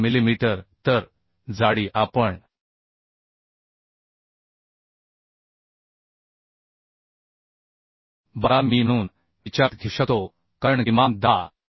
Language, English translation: Marathi, 05 millimetre So the thickness we can consider as 1a 2 mm because minimum is 10